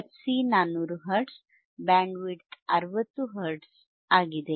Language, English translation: Kannada, f C by Bandwidth; f C is 400 Hertz, Bandwidth is 60 Hertz